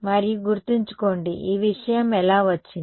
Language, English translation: Telugu, And remember, how did this thing come